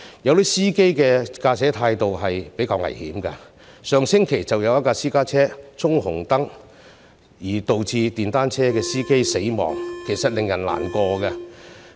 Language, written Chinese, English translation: Cantonese, 有些司機的駕駛態度也比較危險，上星期便有一輛私家車衝紅燈，導致電單車司機死亡，令人感到難過。, Some drivers have a more dangerous driving attitude . Last week a private car ran into a red light resulting in the death of a motorcyclist which made people feel sad